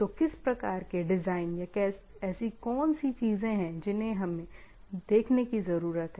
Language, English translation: Hindi, So, what type of designs or what are the things what we need to look at